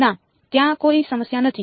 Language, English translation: Gujarati, No there is no problem